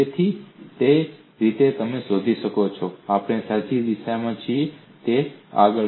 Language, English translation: Gujarati, So that way you find that we on the right direction, so on and so forth